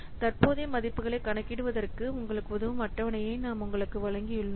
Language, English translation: Tamil, So, we have given you a table which will help you for computing the present values